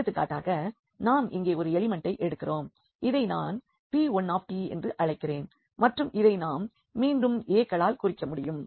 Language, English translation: Tamil, So, for example, we have taken like one element here which I am calling p 1 t and which we can denote again here this with a’s